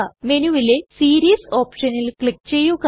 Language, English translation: Malayalam, Click on the Series option in the menu